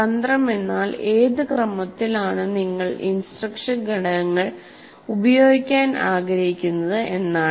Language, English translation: Malayalam, Strategy means in what sequence you want to do, which instructional components you want to use